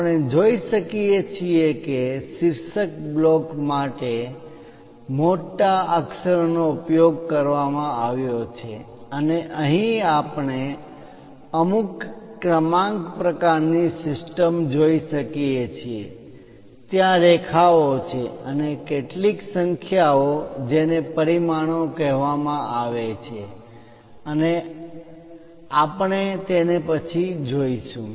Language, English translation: Gujarati, We can see that capital letters have been used for the title block and here we can see some kind of numbering kind of system, there are lines and some numbers these are called dimensions and we will see it later